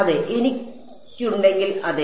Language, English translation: Malayalam, Yeah in if I have yeah